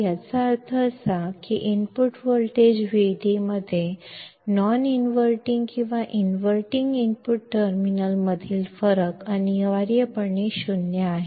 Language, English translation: Kannada, This means that the difference in input voltage Vd between the non inverting and inverting input terminals is essentially 0